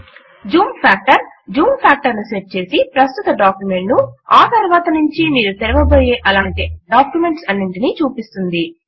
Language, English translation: Telugu, The Zoom factor sets the zoom factor to display the current document and all documents of the same type that you open thereafter